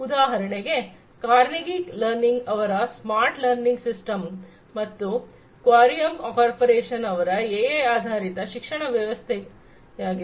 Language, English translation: Kannada, So for example, the smart learning systems by Carnegie Learning, then Querium Corporation AI based education system